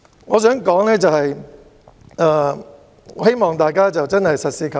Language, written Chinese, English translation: Cantonese, 我想說的是，希望大家實事求是。, What I want to say is that I hope we can be more practical